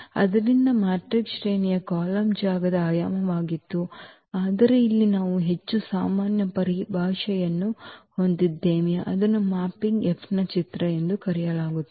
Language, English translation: Kannada, So, the rank of the matrix was the dimension of the column space, but here we have the more general terminology that is called the image of the mapping F